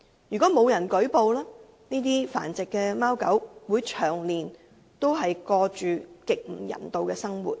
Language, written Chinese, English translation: Cantonese, 如果沒有人舉報，這些繁殖的貓狗只會長年過着極不人道的生活。, If no one has reported the case these cats and dogs kept for breeding purpose will continue to lead very inhumane lives